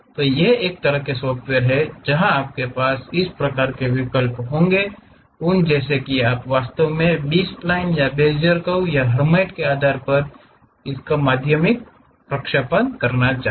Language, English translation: Hindi, These are kind of softwares where you will have these kind of options, uh like whether you would like to really interpolate it like through B splines or Bezier curves or Hermite basis functions and so on